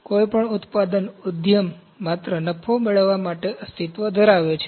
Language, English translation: Gujarati, Any manufacturing enterprise exist just to earn profit